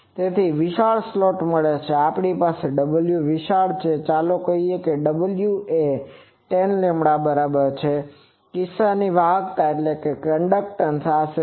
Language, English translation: Gujarati, So, for a wide slot, if we have w is large, let us say w is equal to 10 lambda, in that case the conductance is roughly 0